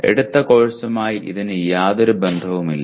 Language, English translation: Malayalam, It is nothing to do with a taken course